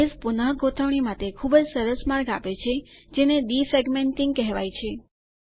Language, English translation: Gujarati, Base offers a nice way of reorganizing called Defragmenting